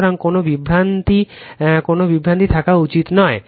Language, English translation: Bengali, So, there should not be any confusion any confusion right